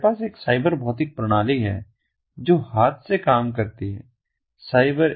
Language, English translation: Hindi, so we have a cyber physical system which works hand in hand cyber one